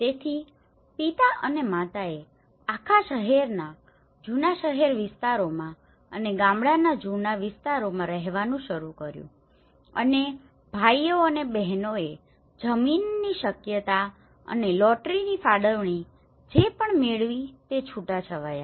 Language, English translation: Gujarati, So father and mother started living in the whole city old town areas and old village areas and the brothers and sisters they all scattered in whatever the land feasibility and the lottery allotments they got